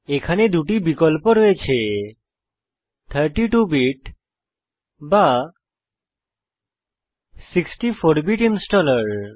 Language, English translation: Bengali, You have two options here a 32 bit or 64 bit installer